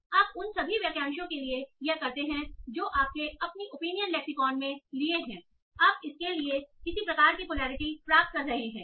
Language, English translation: Hindi, And you do that for all the phrases that you have taken in your opinion lexicon, you obtain some sort of polarity for these